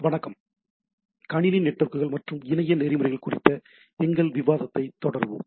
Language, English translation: Tamil, Hello, we will continue our discussion on Computer Networks and Internet Protocols